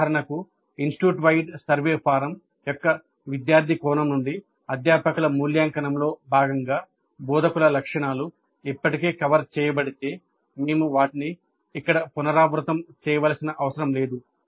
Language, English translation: Telugu, For example, if instructor characteristics are already covered as a part of the faculty evaluation by students aspect of the institute wide survey form, then we don't have to repeat them here